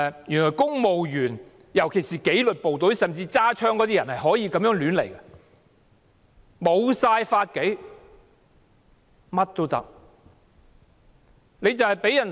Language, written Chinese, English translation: Cantonese, 原來公務員，尤其是有佩槍的紀律部隊公務員便可以有恃無恐，目無法紀，為所欲為。, I now realize that civil servants especially those armed with pistols in disciplined forces can do whatever they want in fearless disregard for the law